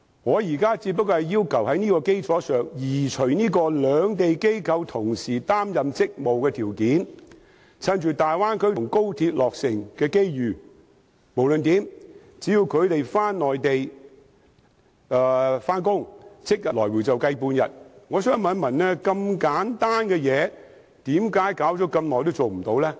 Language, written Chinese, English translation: Cantonese, 我現在只是要求在這項基礎上移除同時在兩地擔任職務的條件，藉大灣區及高鐵落成的機遇，只要他們前往內地上班，即日回港，便算作停留半天。, Now I only request on this basis removal of the requirement of concurrently having duties in both places . Taking the opportunities brought forth by the completion of the Bay Area and XRL so long as they go to work on the Mainland and return to Hong Kong on the same day they should be deemed to have stayed for half a day